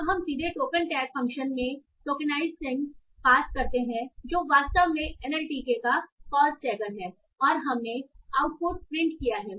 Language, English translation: Hindi, So now we have then, we have directly passed tokenized sent into the pause tag function which is actually a pause tagger of NLTK and we have printed the output